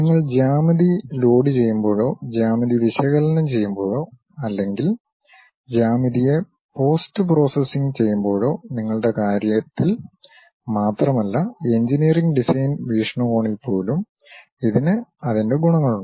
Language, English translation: Malayalam, It has its own advantages like when you are loading the geometry or perhaps analyzing the geometry or perhaps post processing the geometry not only in terms of you, even for engineering design perspective